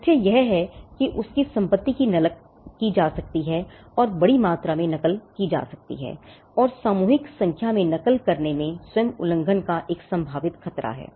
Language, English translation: Hindi, The fact that his property can be copied and duplicated in mass can be copied and duplicated in mass numbers is itself a potential threat for infringement